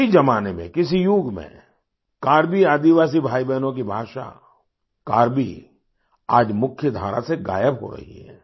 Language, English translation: Hindi, Once upon a time,in another era, 'Karbi', the language of 'Karbi tribal' brothers and sisters…is now disappearing from the mainstream